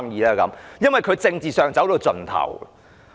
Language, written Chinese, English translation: Cantonese, 這是因為他在政治上已走到盡頭。, Because they have already reached the end of their political life